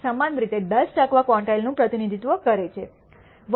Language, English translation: Gujarati, 679 represents the 10 percent quantile similarly minus 1